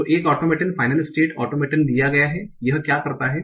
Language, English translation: Hindi, So given an automaton, final state automaton, what it does